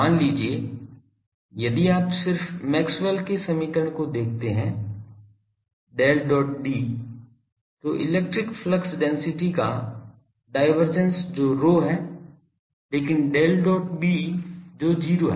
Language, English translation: Hindi, Suppose if you look at just Maxwell’s equation I have Del dot D, divergence of the electric flux density that is rho, but Del dot B that is 0